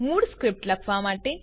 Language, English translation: Gujarati, To write the original scripts